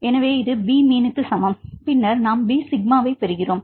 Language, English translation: Tamil, So, this is equal to B mean then we get the B sigma or B sigma